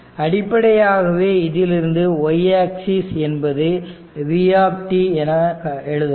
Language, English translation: Tamil, So, basically from that you can find out actually y axis is v t